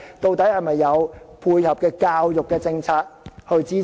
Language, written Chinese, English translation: Cantonese, 有沒有相關的教育政策支持？, Is it grounded in the relevant education policy?